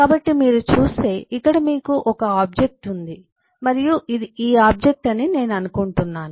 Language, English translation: Telugu, so, if you look at, you have an object here and eh, I think this is this object